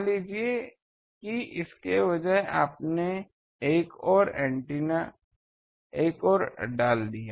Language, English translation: Hindi, Suppose instead this, you put another one